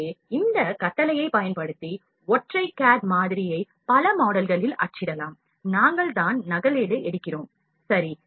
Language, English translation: Tamil, So, single cad model can be printed in multiple models using this command, we just copy, ok